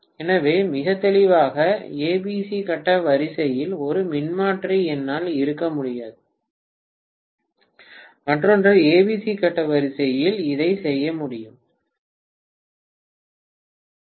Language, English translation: Tamil, So very clearly I can’t have one of the transformer in ABC phase sequence, the other one in ACB phase sequence, this cannot be done